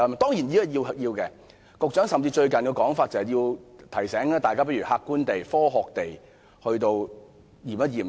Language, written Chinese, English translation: Cantonese, 當然，這是有需要的，局長最近提醒大家，倒不如客觀地、科學地檢視事件。, Of course there is a need to be forward - looking . The Secretary has recently reminded us to look at this incident objectively and scientifically